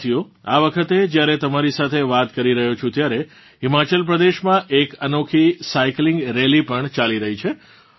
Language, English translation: Gujarati, Friends, at this time when I am talking to you, a unique cycling rally is also going on in Himachal Pradesh